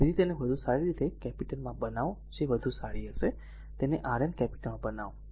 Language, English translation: Gujarati, So, better you make it to capital that will be better, right make it Rn capital